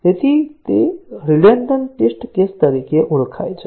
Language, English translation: Gujarati, So, those are called as the redundant test cases